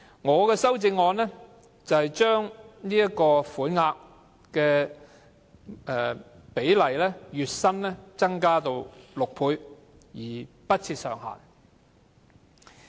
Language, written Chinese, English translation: Cantonese, 我的修正案建議把款額增至月薪6倍，不設上限。, My amendment proposes to increase the sum to six times the employees monthly wages and remove the ceiling